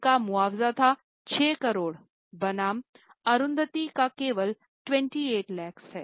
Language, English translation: Hindi, Her compensation was 6 crores versus compensation for Arundatiji is only 28 lakhs